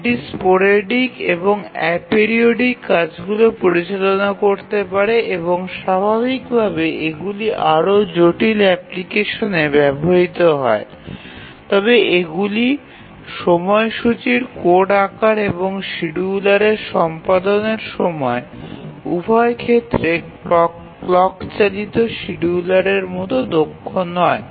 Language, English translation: Bengali, This can handle the sporadic and apiridic tasks and naturally these are used more complex applications but these are not as efficient as the clock driven scheduler both in terms of the code size of the schedulers and also the execution time of the schedulers